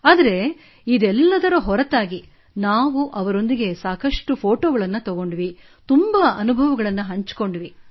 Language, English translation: Kannada, But, other than that, we clicked a lot of pictures with them and shared many experiences